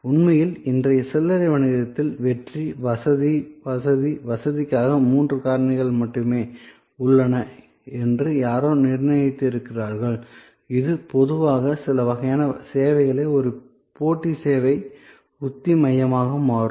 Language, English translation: Tamil, In fact, as somebody has set that in today’s retail business, there is only there are three factors for success, convenience, convenience, convenience and which means in generally highlight this can become a competitive service strategy core in certain kinds of services